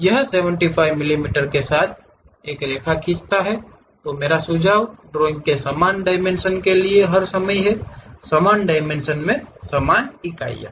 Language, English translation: Hindi, It draws a line with 75 mm my suggestion is all the time for the drawing use same dimension; same in the sense same units of dimensions